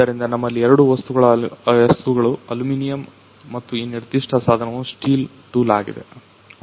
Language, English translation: Kannada, So, we have two materials which are aluminum and this particular tool is a steel tool